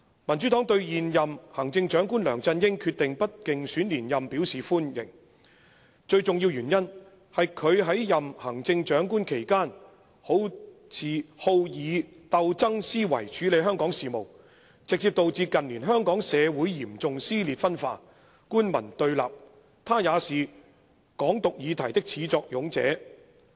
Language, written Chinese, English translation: Cantonese, "民主黨對現任行政長官梁振英決定不競選連任表示歡迎，最重要的原因，是他在任行政長官期間，好以鬥爭思維處理香港事務，直接導致近年香港社會嚴重撕裂分化、官民對立，他也是'港獨'議題的始作俑者。, The Democratic Party welcomes the decision of the incumbent Chief Executive LEUNG Chun - ying not to seek re - election . The most important reason is that during his tenure as the Chief Executive he handles Hong Kongs affairs in a combative manner which has directly caused the serious division and laceration in our society and the bitter confrontation between government officials and the public in recent years . He is the one who started peoples discussion on Hong Kong Independence